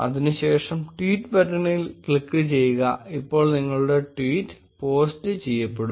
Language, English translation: Malayalam, Click on the tweet button and your tweet will be posted